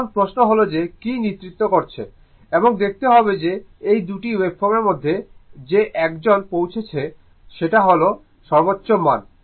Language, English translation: Bengali, Now question is that what is leading, and you have to see that out of this 2 wave form which one is reaching it is peak value